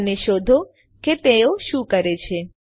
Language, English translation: Gujarati, And Find out What do they do